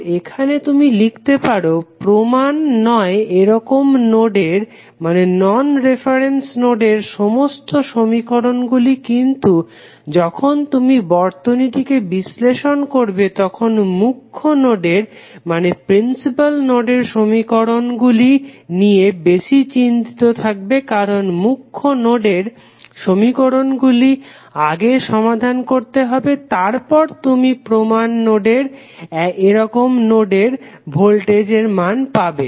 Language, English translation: Bengali, So, here you can write equations for all the non reference nodes but while analyzing the circuit you would be more concerned about the equations you write for principal nodes because the equations which you write for principal node would be solved first then you can find the value of other non reference nodes voltage value